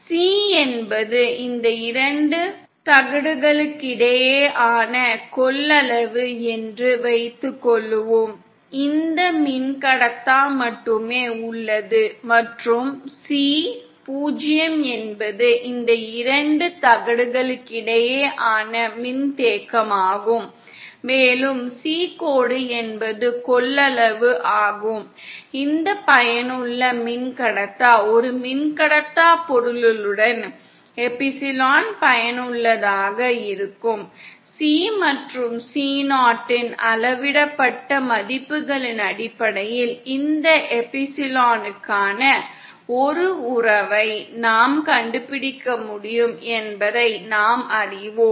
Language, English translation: Tamil, Is suppose C is the capacitance between these two plates, with just this dielectrics present and C 0 is the capacitance between these two plates with air present and C dash is the capacitance with, with this effective dielectric with dielectric material having epsilon effective present, then we can, you know we can find out a relationship for this epsilon effective, in terms of this measured values of C and C0